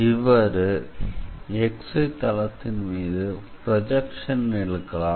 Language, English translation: Tamil, So, if we take the projection on XY plane